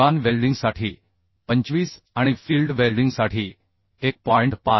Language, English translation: Marathi, 25 for shop welding okay and for field welding it will 1